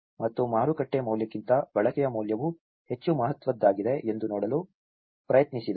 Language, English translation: Kannada, And he tried to see that the use value is more significant than the market value